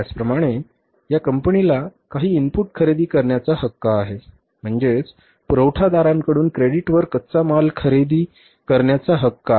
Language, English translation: Marathi, Similarly this firm has the right to buy some input, there is raw material from the suppliers on credit